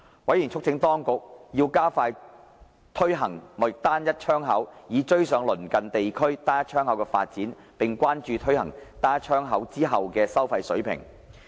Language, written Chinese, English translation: Cantonese, 委員促請當局加快推行貿易單一窗口，以追上鄰近地區單一窗口的發展，並關注推行單一窗口後的收費水平。, Members urged the authorities to expedite the implementation of Trade Single Window SW to catch up with the development of SW in the neighbouring region . They also expressed concerned over the fee level after the SW implementation